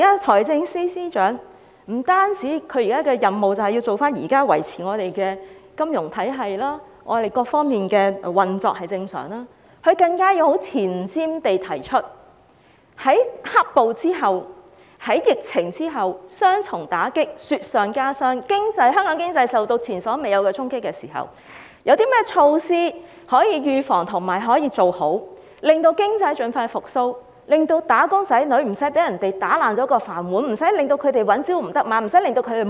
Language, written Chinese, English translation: Cantonese, 財政司司長目前的任務不單是維持金融體系和各方面運作正常，更要有前瞻地提出，在"黑暴"和疫情帶來雙重打擊下，當香港經濟受到前所未有的衝擊時，有何措施可以預防和做好，促使經濟盡快復蘇，以免"打工仔女"被人打破"飯碗"，因而朝不保夕、三餐不繼。, At present the Financial Secretary is tasked not only to maintain normal operation of the financial system and various fields . As our economy is subject to the unprecedented impact brought about by the double blow of black violence and the epidemic he is also required to adopt a forward - looking perspective in putting forward preventive and effective measures for a speedy recovery of the economy . This is to prevent wage earners from losing their jobs living precariously and being deprived of sufficient food